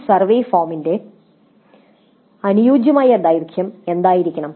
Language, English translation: Malayalam, What should be the ideal length of a survey form